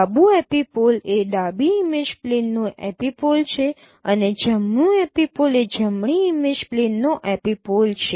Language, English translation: Gujarati, Left apople is the epipole at the left image plane and right epipole is the epipole at the right image plane